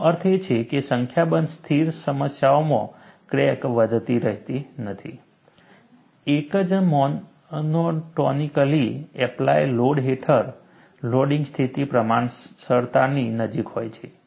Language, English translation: Gujarati, In a number of stationary problems, that means, crack is not growing, under a single monotonically applied load, the loading condition is close to proportionality